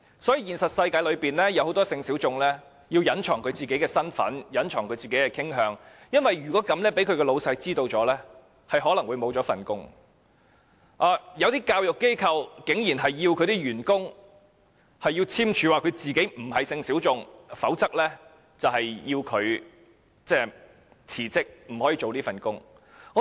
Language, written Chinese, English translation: Cantonese, 所以，在現實世界中，很多性小眾須隱藏其身份和傾向，因為萬一被他的上司發現，他有可能會失去工作，有些教育機構甚至要求員工簽署文件，聲明自己並非性小眾，否則便須辭職，不可以繼續工作。, For this reason in the real world many people belonging to the sexual minorities have to conceal their sexual identities and orientations because in the event that their sexual identities and orientations are found out by their superiors they may lose their jobs . Some education organizations even request their employees to sign documents to declare that they do not belong to the sexual minorities . Otherwise they have to resign and cannot continue to work